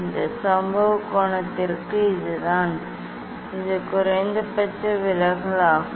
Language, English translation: Tamil, this is the this for these incident angle; this is the minimum deviation